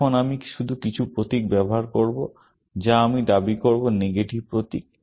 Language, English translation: Bengali, Now, I will just use some symbol, which I will claim is a symbol for negation